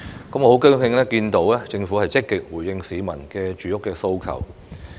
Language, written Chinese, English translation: Cantonese, 我很高興看到政府積極回應市民的住屋訴求。, I am glad to see that the Government is actively responding to the housing needs of the public